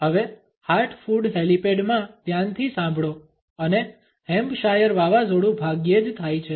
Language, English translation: Gujarati, Now listen carefully in heart food helipad and Hampshire hurricanes hardly ever happen